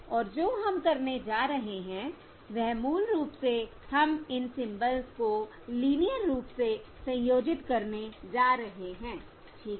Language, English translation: Hindi, And what we are going to do is basically we are going to linearly combine these symbols